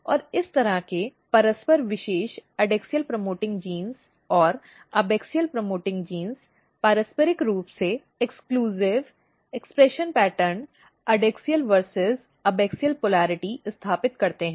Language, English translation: Hindi, And these kind of mutually exclusive expression pattern of adaxial promoting genes and abaxial promoting genes basically establish the adaxial versus abaxial polarity